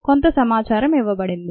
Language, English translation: Telugu, some information is given ah